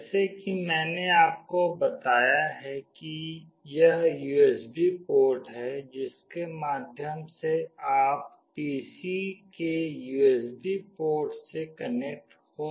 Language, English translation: Hindi, As I have told you this is the USB port through which you can connect to the USB port of the PC